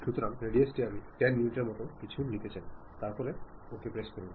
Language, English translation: Bengali, So, radius I would like to have something like 10 units, then click ok